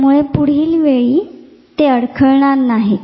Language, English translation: Marathi, So, that the next time they do not falter